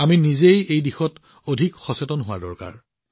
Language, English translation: Assamese, We ourselves also need to be more and more aware in this direction